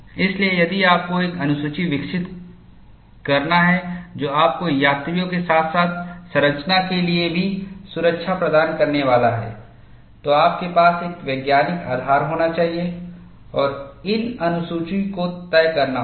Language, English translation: Hindi, So, if you have to develop a schedule, which is also going to give you safety for the passengers, as well as the structure, you have to have a scientific basis and decide these schedules